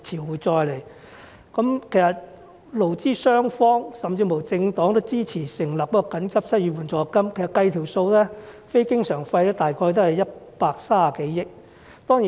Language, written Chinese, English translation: Cantonese, 其實勞資雙方，甚至政黨均支持緊急推行失業援助金計劃，經過運算，非經常開支預算約是130多億元。, In fact employers employees and even political parties support the urgent implementation of the unemployment assistance scheme . After calculation the estimated non - recurrent expenditure is some 13 billion